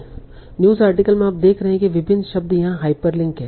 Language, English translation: Hindi, And so in the article, so with the news you are seeing various words are hyperlinked